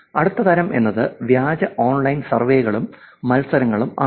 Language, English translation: Malayalam, Next type is, Fake Online Surveys and Contests